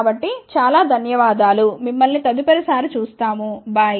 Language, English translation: Telugu, So, thank you very much we will see you next time, bye